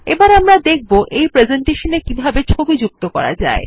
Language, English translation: Bengali, We will now see how to add a picture into this presentation